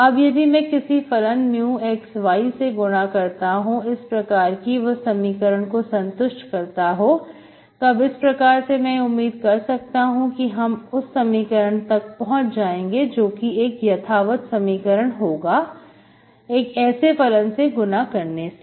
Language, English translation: Hindi, So if I multiply some function mu of xy, so that is, if they satisfy this equation, I can hope to make the equation, given equation exact, okay, by multiplying this function mu